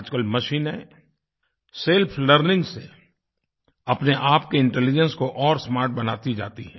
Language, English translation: Hindi, Through self learning, machines today can enhance their intelligence to a smarter level